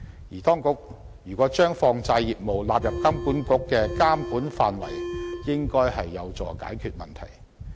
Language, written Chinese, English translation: Cantonese, 如果當局把放債業務納入金管局的監管範圍，便應該有助解決問題。, The inclusion of the businesses of money lenders into the regulatory ambit of HKMA should help resolve this problem